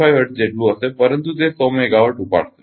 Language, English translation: Gujarati, 5 hertz, but it picked up 100 megawatt